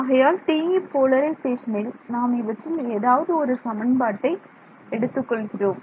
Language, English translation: Tamil, So, the TE polarization I am just looking at one of these equations ok